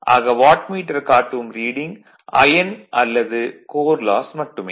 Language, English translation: Tamil, And here, Wattmeter reading gives only iron or core loss